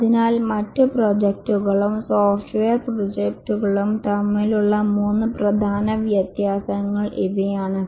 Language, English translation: Malayalam, So these are the three main differences between other projects and software projects